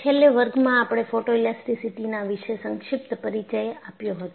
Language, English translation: Gujarati, In the last class, we had a brief introduction to Photoelasticity